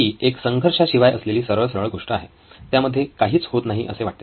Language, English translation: Marathi, This is a straightforward story with no conflict, nothing going on